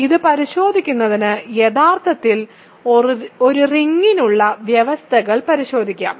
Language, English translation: Malayalam, So, to check this let us check actually the conditions for a ring